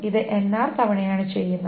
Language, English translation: Malayalam, This is being done NR times